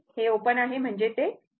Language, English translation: Marathi, So now, this is open means, it is not there